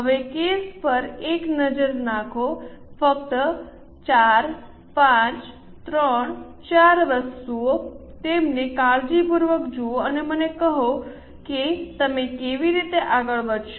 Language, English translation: Gujarati, Now have a look at the case very small just four five, three four items, look at them carefully and tell me how will you proceed